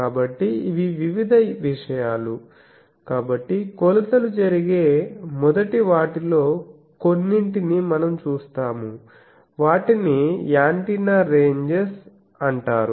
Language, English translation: Telugu, So, these are various things so we will see some of these the first one where the measurements are takes place they are called Antenna Ranges